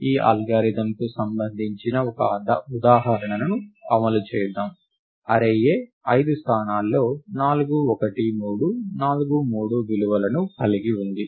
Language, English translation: Telugu, Let us run one example of this algorithm; the array A has the values 4, 1, 3, 4, 3 in the five locations